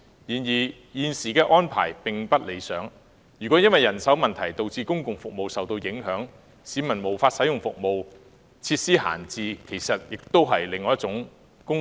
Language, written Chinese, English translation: Cantonese, 然而，現時的安排並不理想，倘若因人手問題而導致公共服務受影響，令市民無法使用有關服務，則會發生設施閒置的問題，這其實是在浪費公帑。, However the present arrangement is not an ideal one . In case public services are affected by manpower issues and the public cannot use the services concerned it will lead to the idling of facilities which means a waste of public funds in fact